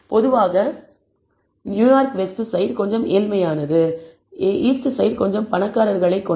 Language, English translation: Tamil, Typically New York Westside is probably a little poorer whereas, the east side probably is a little richer neighborhood